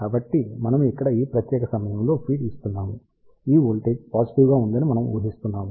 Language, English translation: Telugu, Since, we are feeding at this particular point over here we are assuming this voltages positive